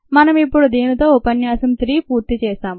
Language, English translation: Telugu, i think we will finish of lecture three with this